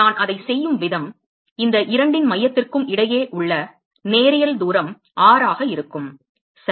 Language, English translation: Tamil, And the way I do that is supposing the linear distance between center of these two is r ok